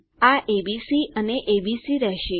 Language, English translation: Gujarati, This will be abc and abc